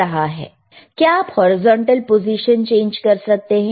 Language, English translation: Hindi, cCan you change the horizontal position please,